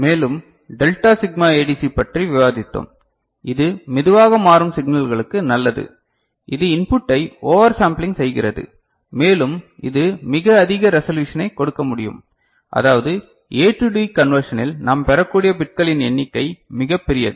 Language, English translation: Tamil, And further we discussed delta sigma ADC which is good for slow changing signals and it uses over sampling of the input and it can give very high resolution I mean, the number of bits that we can get in A to D conversion is quite large